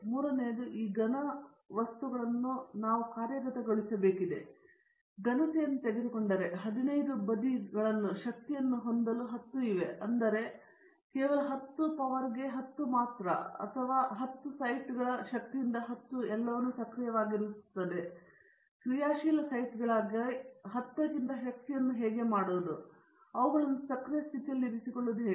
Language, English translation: Kannada, The third thing is in designing this solids or materials we have to now functionalize them, the functionalize say is for example, if you take a solid, there are 10 to power the of 15 sides, out of which only 10 to the power of 12 or 10 to the power of 10 sites will be active of all them; how to make those 10 to the power of 10 as active sites, and how to keep them in the active state